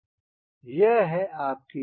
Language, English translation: Hindi, this is your tail